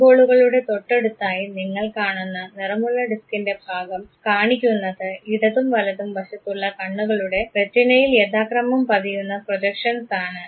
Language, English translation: Malayalam, The part of the colored disk that you see next to the eye balls show the respective projections on the Retina of the left and the right eyes